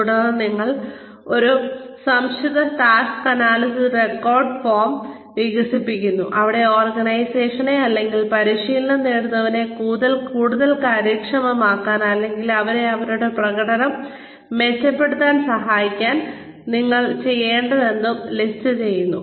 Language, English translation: Malayalam, Then, you develop an abbreviated task analysis record form, where you list, whatever needs to be done, in order to make the organization more, or in order to, make the trainees more effective, or to help them, improve their performance